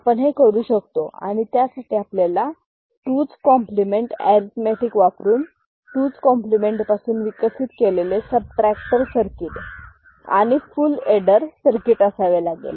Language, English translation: Marathi, So, that we can do and for that we can have a subtractor circuit developed from 2’s complement by using 2’s complement arithmetic and full adder circuit